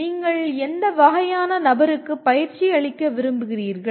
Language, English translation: Tamil, What kind of person you want to train for